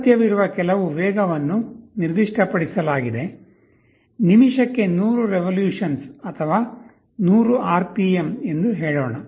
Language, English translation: Kannada, Some required speed is specified, let us say 100 revolutions per minute or 100 RPM